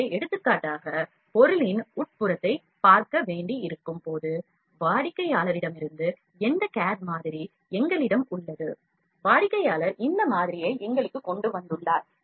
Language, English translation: Tamil, So, when we need to see the inside of the job for example, we have called this cad model from the customer; the customer has just made this model brought this model for us